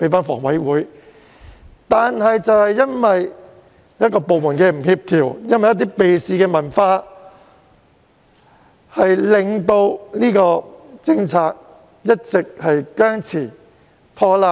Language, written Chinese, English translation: Cantonese, 可是，因為有部門不協調，因為避事文化，以至這安排一直僵持或拖拉。, However due to the lack of coordination among government departments and the culture of evading responsibilities this arrangement was left in a deadlock or stalled